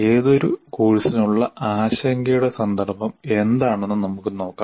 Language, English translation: Malayalam, Let us look at what is the context of concern for any course